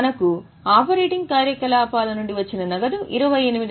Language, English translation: Telugu, This gives us net cash flow from operating activities which is 28,300